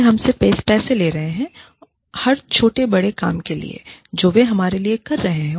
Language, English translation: Hindi, They are charging us, for every little bit, that they are doing for us